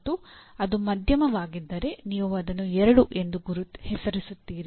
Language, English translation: Kannada, And if it is moderate, you will name it as 2